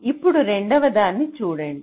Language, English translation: Telugu, second one, you see